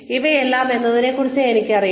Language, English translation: Malayalam, Yes, I know that, about myself